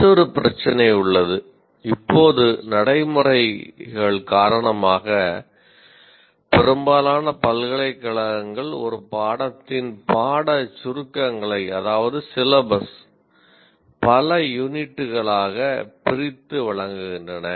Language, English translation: Tamil, There is another issue, namely because of the practices still now, most of the universities are used to breaking the or presenting the syllabus of a course as a set of units